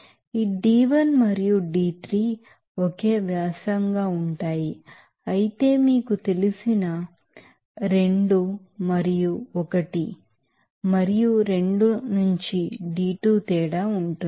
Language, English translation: Telugu, This d1 and d3 will be the same diameter whereas d2 will be the difference from this you know 2 and 1 and 2 you know point